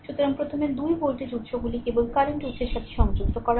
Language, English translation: Bengali, So, first you 2 voltage sources are shorted only current source is there